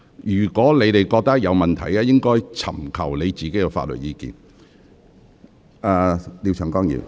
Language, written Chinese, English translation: Cantonese, 如果你們認為有任何問題，應自行尋求法律意見。, If you come up with any questions you should seek legal advice yourself